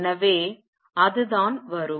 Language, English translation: Tamil, So, that what come